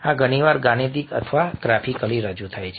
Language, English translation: Gujarati, these are often mathematically or graphically represented